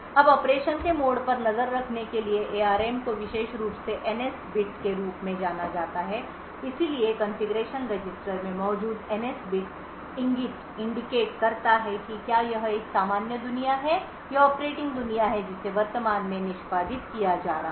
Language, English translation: Hindi, Now in order to keep track of the mode of operation the ARM has a particular bit known as the NS bit so the NS bit present in the configuration register indicates whether it is a normal world or the operating world that is currently being executed